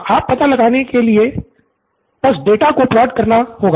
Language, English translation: Hindi, So now to find out just plot the data